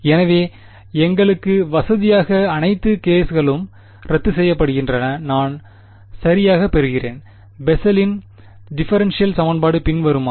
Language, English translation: Tamil, So, conveniently for us all the all the ks cancel off and I get exactly, the Bessel’s differential equation which is as follows